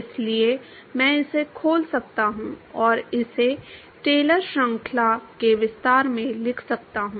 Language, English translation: Hindi, So, I can open it up and write it in Taylor series expansion